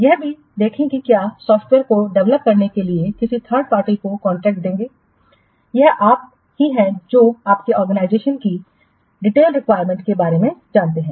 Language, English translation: Hindi, See, even if you will give contract to a third party to develop a software, it is you who know about the detailed requirements for your organization